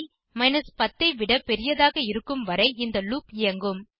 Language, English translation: Tamil, This loop will execute as long as the variable i is greater than 10